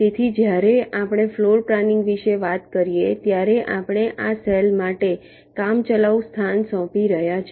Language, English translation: Gujarati, so when we talk about floorplanning you are tentatively assigning a location for this cells